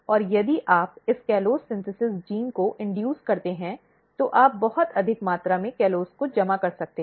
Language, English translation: Hindi, And if you induce this callose synthesis gene, you can see a very high amount of callose getting accumulated